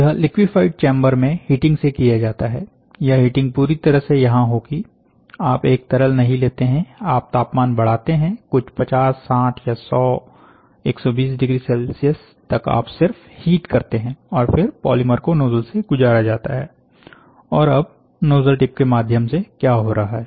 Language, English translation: Hindi, So, this is a heating completely, heating will happen here, ok, heating also, you do not take a liquid, temperature you increase it to some 50, 60 or 100 degree Celsius by 100, 120 degrees Celsius, you just heat and then the polymer is passed through and now what is happening through the nozzle tip